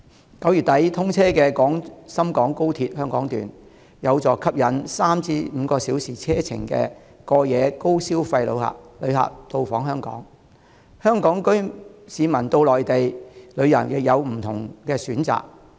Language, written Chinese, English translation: Cantonese, 在9月底通車的廣深港高鐵，有助吸引3至5小時車程範圍內的城市的過夜高消費旅客到訪香港，香港市民到內地旅遊亦有更多不同的選擇。, The Hong Kong Section of XRL commissioned at the end of September can help attract overnight visitors with high spending power from cities within the reach of a journey time of three to five hours to Hong Kong